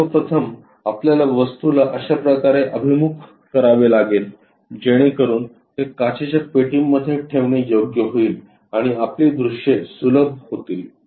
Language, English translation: Marathi, First of all, we have to orient an object in such a way that it will be appropriate to keep it in the glass box and simplifies our views